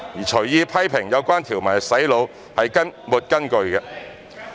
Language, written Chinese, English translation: Cantonese, 隨意批評有關條文是"洗腦"，是沒有根據的。, It is groundless to criticize arbitrarily the relevant provisions as brainwashing